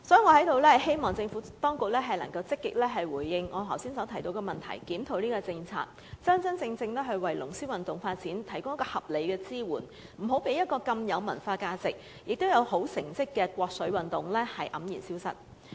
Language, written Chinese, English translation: Cantonese, 我希望政府當局能夠積極回應我剛才提及的問題，檢討有關政策，真正為龍獅運動發展提供合理的支援，不要讓一種如此具文化價值，並且獲得優良成績的國粹運動黯然消失。, I hope that the Administration can actively respond to the questions just raised by me and review the policy concerned so that reasonable support can really be provided to the dragon and lion dance sports . We should not let this kind of sports a Chinese national heritage which has cultural values and prominent achievements vanish with disappointment